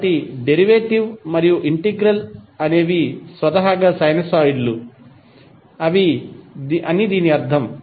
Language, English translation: Telugu, So, it means that the derivative and integral would itself would be sinusoids